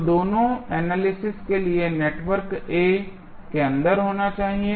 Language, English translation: Hindi, So, both should be inside the network A for analysis